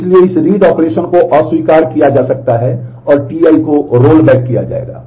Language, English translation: Hindi, So, this read operation can be rejected and T i will be rolled back